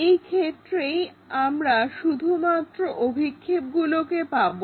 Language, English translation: Bengali, For that only we can take these projections